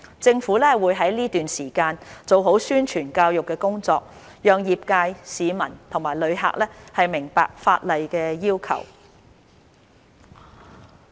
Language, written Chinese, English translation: Cantonese, 政府會在這段時間做好宣傳教育工作，讓業界、市民及旅客明白法例要求。, The Government will do a good job in terms of publicity and education during this period so that the industry the public and tourists will understand the requirements of the law